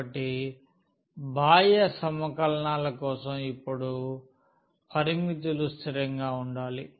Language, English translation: Telugu, So, for the outer integral now the limits must be constant